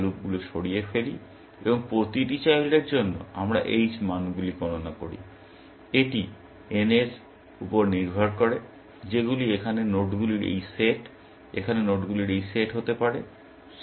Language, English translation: Bengali, Then, we remove loops and for each child, we compute the h values, that are this set of nodes here, or it could be this set of nodes here, depending on what is n